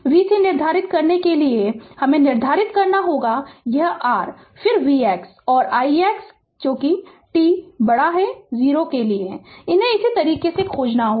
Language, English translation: Hindi, You have to determine we have to determine v c ah that is ah your this one then v x and i x for t greater than 0, these we have to find it out right